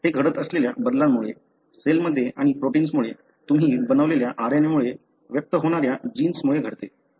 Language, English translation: Marathi, It happens because of a change that happens in this, in the cell and because of the protein that are made, because of the RNA that you make, because of the genes that express